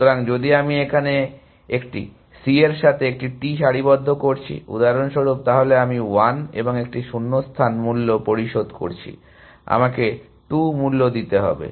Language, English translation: Bengali, So, if I am aligning a T with a C for example here, then I am paying a cost of 1 and a gap, I have to pay a cost of 2